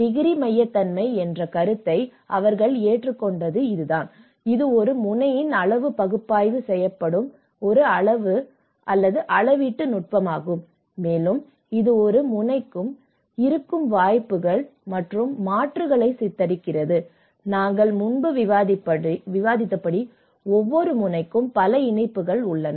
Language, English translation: Tamil, And this is where they adopted the concept of degree centrality and this is a quantitative measure technique where the degree as a degree of a node and it depict the opportunities and alternatives that one node has, as we discussed in before also how each node has have a multiple connections